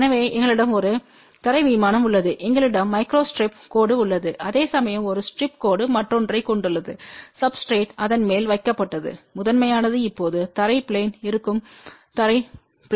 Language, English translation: Tamil, So, we have a ground plane and we has a micro strip line whereas, a strip line has a another substrate put on top of that and there is top one will be now ground plane here the bottom is ground plane